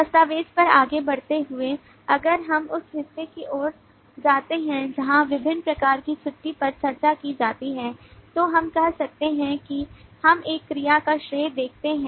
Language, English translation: Hindi, continuing on that document further if we go towards part where leave different kinds of leave are discussed we can say that we see a verb credited